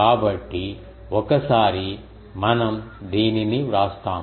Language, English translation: Telugu, So, once we write this